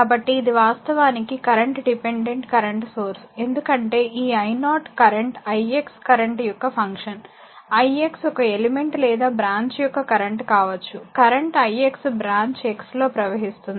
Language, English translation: Telugu, So, this is actually current controlled current source because this i 0 the current is function of the current i x, i x may be the current of some element your in the your branch size current i x flowing some branch x a